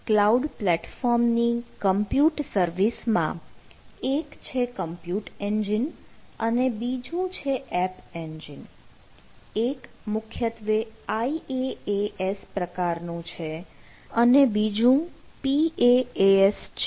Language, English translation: Gujarati, so if we look at the google cloud platform, so compute services, one is compute engine, another is a app engine, one is primarily ias types of things and another is the pass type of stuff